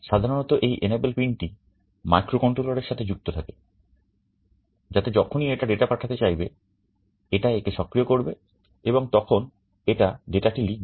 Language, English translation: Bengali, Typically this enable pin is also connected to the microcontroller, so that whenever it wants to send the data, it enables it and then it writes the data